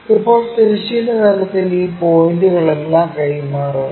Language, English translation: Malayalam, Now, transfer all these points on the horizontal plane